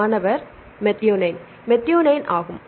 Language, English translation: Tamil, Right, methionine right